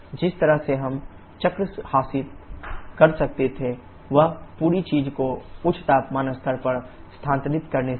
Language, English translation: Hindi, One way we could have achieved the cycle is by shifting the entire thing to higher temperature level